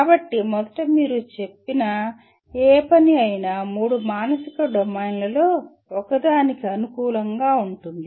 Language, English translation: Telugu, So first thing he said any given task that you take favors one of the three psychological domains